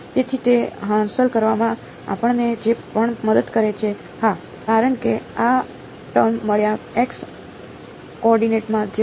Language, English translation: Gujarati, So, whatever helps us to achieve that, well yeah because this string is in the x coordinates only right